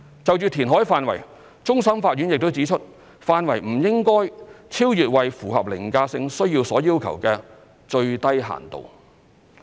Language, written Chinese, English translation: Cantonese, 就填海範圍，終審法院亦指出範圍不應該超越為符合凌駕性需要所要求的"最低限度"。, As regards the extent of reclamation the Court of Final Appeal also stated that it should not go beyond the minimum of that which is required by the overriding need